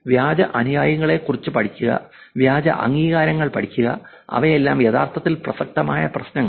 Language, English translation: Malayalam, It is not only reviews, it is also about studying the fake followers, studying the fake endorsements, all of them are actually relevant problems